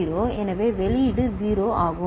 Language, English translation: Tamil, So, the output is 0